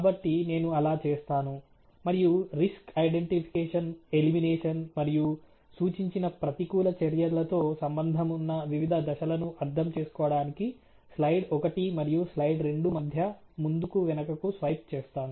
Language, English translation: Telugu, So, I will do that and back and forth swipe between slide one and slide two to make you understand the various steps associated with the risk identification, and how elimination has been done or what counter measures have been suggested